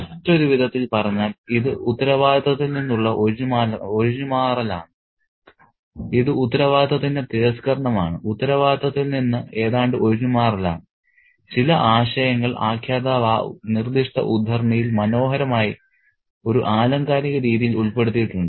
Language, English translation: Malayalam, In other words, it's a shirking of responsibility, it's a rejection of responsibility, almost an over shirking of responsibility and such an idea is beautifully put in a rhetorical way in that particular extract by the narrative